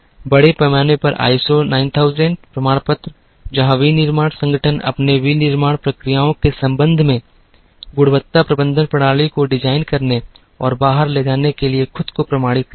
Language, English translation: Hindi, Largely ISO9000 certifications, where manufacturing organizations get themselves certified for designing and carrying out a quality management system with respect to their manufacturing processes